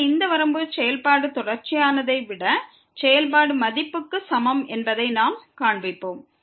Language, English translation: Tamil, So, we will show that this limit here is equal to the function value than the function is continuous